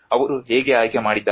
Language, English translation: Kannada, How they have chosen